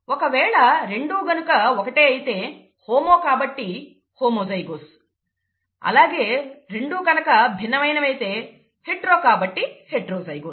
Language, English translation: Telugu, If both are the same, homo, so homozygous, if both are different, hetero, so heterozygous